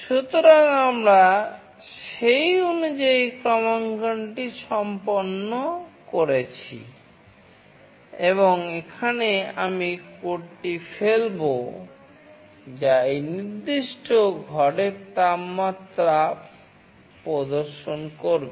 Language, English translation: Bengali, So, we have done the calibration accordingly and now I will be dumping the code, which will display the current temperature of this particular room